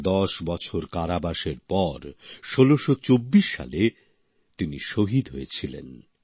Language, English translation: Bengali, In 1624 after ten years of imprisonment she was martyred